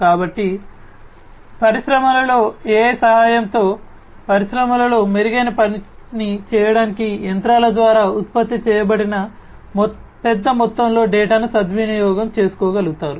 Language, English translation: Telugu, So, with the help of AI in industries, in the industries are capable of taking the advantage of large amount of data that is generated by the machines to do something better